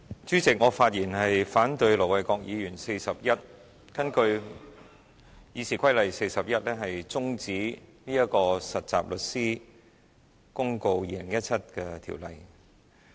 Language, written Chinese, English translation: Cantonese, 主席，我發言反對盧偉國議員根據《議事規則》第401條提出將有關《〈2017年實習律師規則〉公告》的辯論中止待續的議案。, President I speak to oppose the motion moved by Ir Dr LO Wai - kwok under Rule 401 of the Rules of Procedure RoP to adjourn the debate in relation to the Trainee Solicitors Amendment Rules 2017 Commencement Notice the Notice